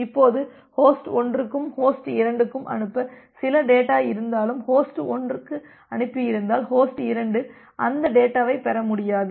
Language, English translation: Tamil, Now, even if host 1 has some data to send to host 2 that particular data if any host 1 sent it, host 2 may not be able to receive that data